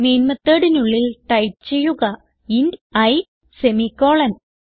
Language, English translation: Malayalam, So Inside the main function, type int i semicolon